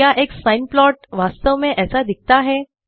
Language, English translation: Hindi, Does a sine plot actually look like that